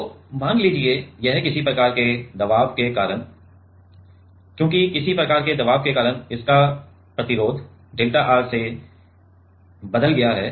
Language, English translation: Hindi, So, say this is has because of some kind of pressure pressures because of some kind of pressure it resistance has changed to delta R